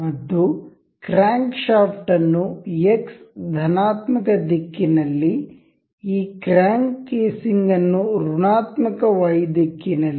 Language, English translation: Kannada, And this crankshaft in the X positive X direction, and this crank casing in negative Y